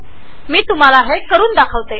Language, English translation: Marathi, Let me demonstrate this for you